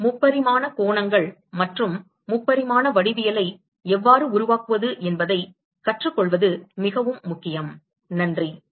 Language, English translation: Tamil, It is very important to learn how to construct the 3 dimensional angles and 3 dimensional geometries